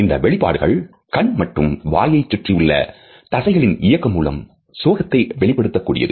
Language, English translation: Tamil, These expressions which are portrayed for being sad are assisted through the contraction of the muscles around eyes and mouth